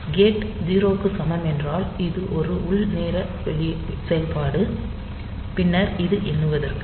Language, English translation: Tamil, So, this gate equal to 0, that is a internal time internal operation, then this is your this count